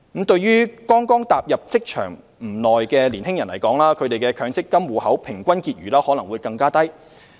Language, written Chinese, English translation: Cantonese, 對於剛踏入職場不久的年輕人士來說，他們的強積金戶口平均結餘可能會更低。, For young people who have just started to work the average balance of their MPF accounts may be even lower